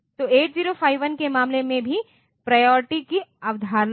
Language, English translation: Hindi, So, in case of 8 0 5 1 also so, we have got the concept of priority